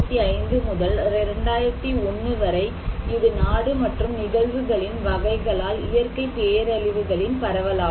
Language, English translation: Tamil, This one is the distribution of natural disasters by country and type of phenomena from 1975 to 2001